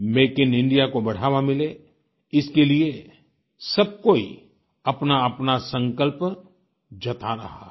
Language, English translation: Hindi, In order to encourage "Make in India" everyone is expressing one's own resolve